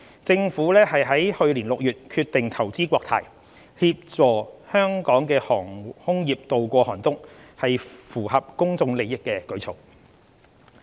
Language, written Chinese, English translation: Cantonese, 政府於去年6月決定投資國泰，協助香港的航空業渡過寒冬，屬符合公眾利益的舉措。, With a view to supporting Hong Kongs aviation industry to ride out the storm the Government decided in June 2020 to invest in Cathay in the public interest